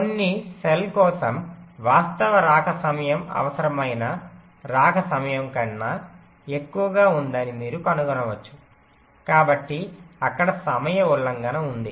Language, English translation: Telugu, you may find that the actual arrival time is becoming greater than the required arrival time, so there is a timing violation there